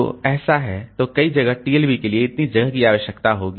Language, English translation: Hindi, So this so many space, so much space will be required for the TLB